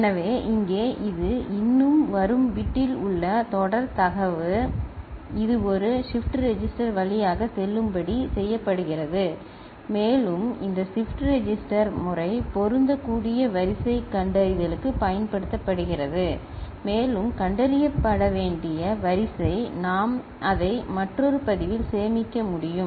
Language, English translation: Tamil, So, here this is the serial data in the bit still it is coming, and which is made to go through a shift register and this shift register is used for the pattern matching sequence detection, and the sequence to be detected we can store it in another register, right